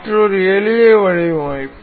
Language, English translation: Tamil, Another simple design